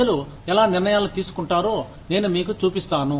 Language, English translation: Telugu, I just show you, how people make decisions